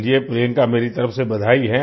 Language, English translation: Hindi, Well, Priyanka, congratulations from my side